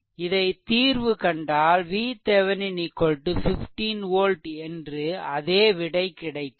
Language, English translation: Tamil, After solving this, you will get same result, V Thevenin is equal to 15 volt right